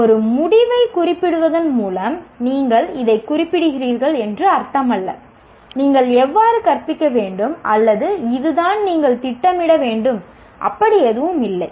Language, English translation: Tamil, There is, just by stating an outcome, it doesn't mean that you are specifying this is how you should teach or this is how he must plan, no nothing of that kind